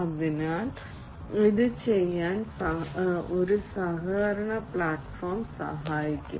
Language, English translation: Malayalam, So, this is what a collaboration platform will help in doing